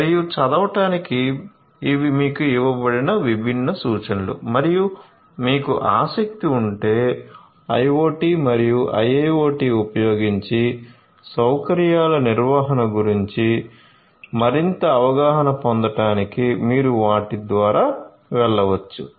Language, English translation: Telugu, So, for further reading these are these different references that have been given to you and in case you are interested you can go through them to get further insights about facility management and facility management using IoT and IIoT